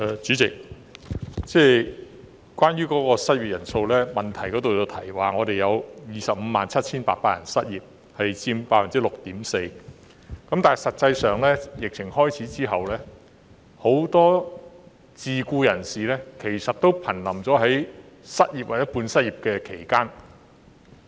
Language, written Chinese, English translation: Cantonese, 主席，關於失業人數，主體質詢提到香港有257800人失業，失業率為 6.4%， 但實際上，很多自僱人士自疫情開始後，處於瀕臨失業或半失業之間。, President according to the main reply there are currently 257 800 unemployed persons in Hong Kong and the unemployment rate is 6.4 % . But in fact many self - employed persons have been on the verge of unemployment or underemployment since the outbreak of the epidemic